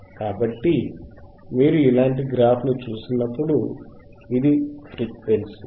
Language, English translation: Telugu, So, when you see a graph, which is something like this